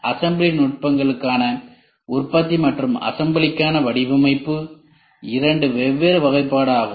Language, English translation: Tamil, The design for manufacturing and design for assembly techniques are two different classification